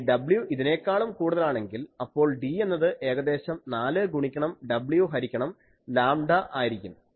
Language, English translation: Malayalam, And if w is greater than this, then D is almost 4 into w by lambda